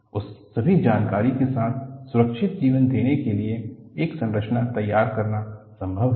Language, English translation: Hindi, With all that information, it is possible to design a structure to give a safe life